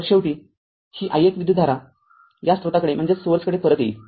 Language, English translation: Marathi, So, finally, this i 1 current will return to the this source right